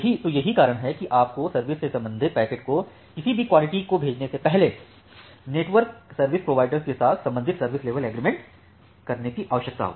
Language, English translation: Hindi, So, that is why you need to make at the corresponding service level agreement with the network service provider, before sending any quality of service associated packet